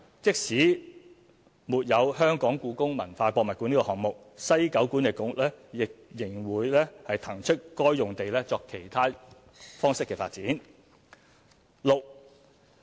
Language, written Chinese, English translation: Cantonese, 即使沒有故宮館項目，西九管理局仍會騰出該用地作其他方式的發展。, The site would be made available for alternative use even without the HKPM project